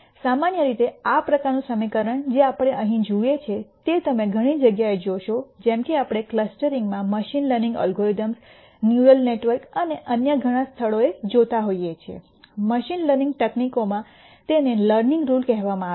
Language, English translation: Gujarati, In general this kind of equation that we see here you will see in many places as we look at machine learning algorithms in clustering, in neural networks and many other places, in machine learning techniques this is called the learning rule